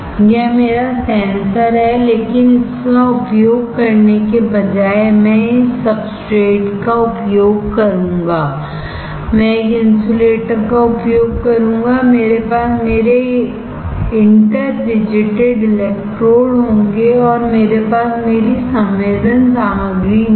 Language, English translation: Hindi, This is my sensor, but instead of using this I will use this substrate, I will use an insulator, I will have my interdigitated electrodes, and I will have my sensing material